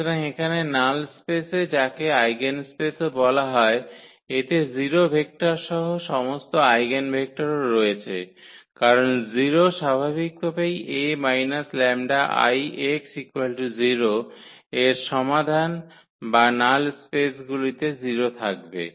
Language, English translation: Bengali, So, here in the null space which is also called the eigenspace, it contains all eigenvectors including 0 vector because 0 is naturally the solution of this A minus lambda I x is equal to 0 or 0 will be there in the null space